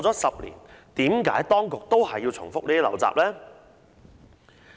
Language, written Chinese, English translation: Cantonese, 十年過去，為何當局仍然要重複這些陋習呢？, Ten years have passed why should the Administration repeat the same bad habit?